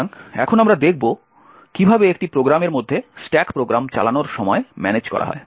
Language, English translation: Bengali, So now we will see how the stack of a program is managed during the execution of the program